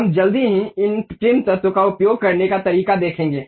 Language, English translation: Hindi, We will shortly see how to use these trim entities